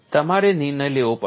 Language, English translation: Gujarati, You will have to decide